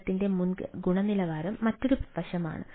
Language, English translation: Malayalam, right, quality of service is another aspects